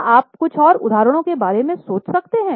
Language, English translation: Hindi, Can you think of some more examples